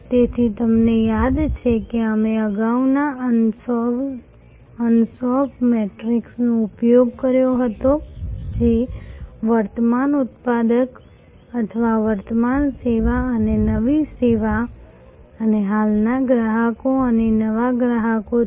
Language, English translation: Gujarati, So, you remember that we had used earlier Ansoff matrix which is existing product or existing service and new service and existing customers and new customers